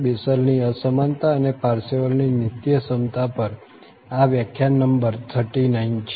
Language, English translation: Gujarati, This is lecture number 39 on Bessel's Inequality and Parseval's Identity